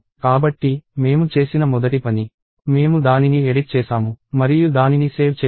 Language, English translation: Telugu, So, the first thing I did is I edited it and then I saved it